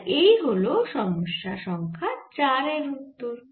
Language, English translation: Bengali, so this is the answer for problem number three